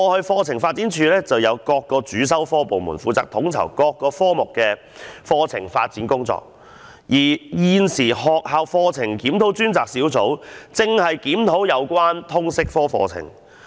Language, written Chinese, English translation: Cantonese, 課程發展處以往有就各個主修科設立專責部門，負責統籌各個科目的課程發展工作，而現時學校課程檢討專責小組現正檢討通識科課程。, In the past CDI had set up a dedicated section for each core subject to coordinate curriculum development tasks of respective core subjects . And as at present the Task Force on Review of School Curriculum is reviewing the curriculum of Liberal Studies LS